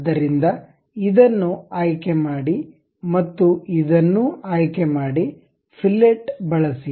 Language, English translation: Kannada, So, select this one and select this one also, use fillet